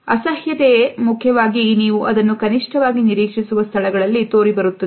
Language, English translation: Kannada, Disgust is important, and it shows up in places that you would least expect it